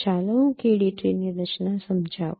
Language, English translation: Gujarati, Let me explain the formation of a KD tree